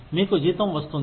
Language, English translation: Telugu, You get salary